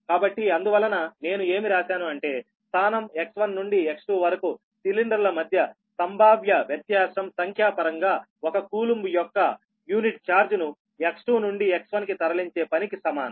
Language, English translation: Telugu, so that's why i have written for you the potential difference between cylinders from the position x one to x two is numerically equivalent to the work done in moving unit charge of one coulomb from x two to x one right